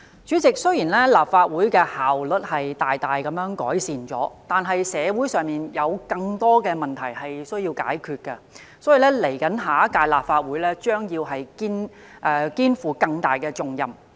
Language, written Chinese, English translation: Cantonese, 主席，雖然立法會的效率大幅改善，但社會上有更多問題需要解決，因此，未來一屆立法會將肩負更大重任。, President despite the significant improvement in the efficiency of this Council many problems still remain to be resolved in society and the next Legislative Council will therefore be saddled with greater responsibilities